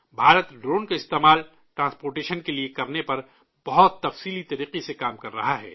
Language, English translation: Urdu, India is working extensively on using drones for transportation